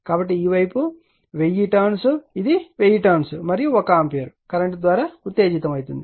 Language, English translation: Telugu, So, this side your, what you call 1000 turn, this is 1000 turn and excited by 1 ampere current right